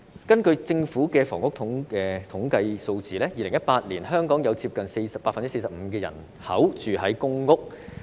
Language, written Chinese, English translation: Cantonese, 根據政府的房屋統計數字 ，2018 年香港接近 45% 人口居於公共屋邨。, According to the housing statistics provided by the Government in 2018 nearly 45 % of Hong Kong people lived in public housing estates